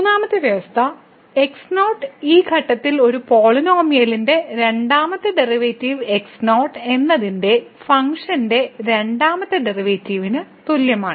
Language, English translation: Malayalam, The third condition the second derivative of this polynomial at this point is equal to the second derivative of the function at the and so on